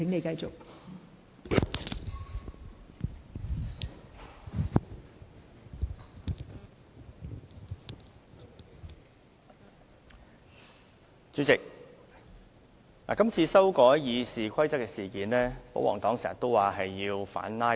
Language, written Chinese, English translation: Cantonese, 代理主席，今次修改《議事規則》，保皇黨經常說是為了反"拉布"。, Deputy President the current amendment to the Rules of Procedure RoP is often described by the royalists as a way to counter filibustering